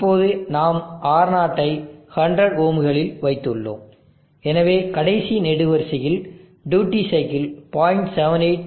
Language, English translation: Tamil, Now we have put R0 of 100 ohms and therefore, you can see that the last column the duty cycle is 0